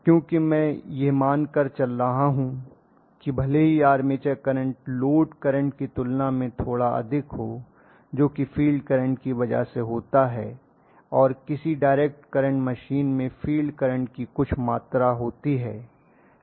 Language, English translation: Hindi, Because I am going to assume that even if the armature current is slightly higher than the load current because of the fact that there is some amount of field current in a current machine